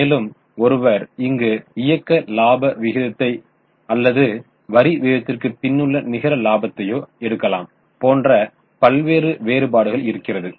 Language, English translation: Tamil, Now there can be some variations like one can take operating profit ratio or one can take net profit before tax ratio and so on